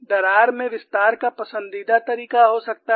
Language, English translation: Hindi, The crack can have a preferred way of extension